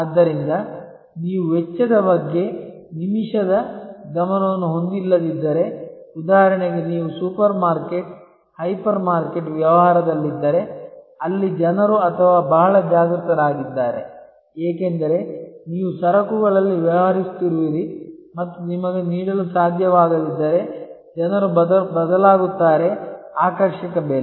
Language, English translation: Kannada, So, if you do not have minute attention to cost then for example, if you are in the supermarket, hyper market business, where people or very conscious about, because you are dealing in commodities and people will shift if you are not able to offer attractive pricing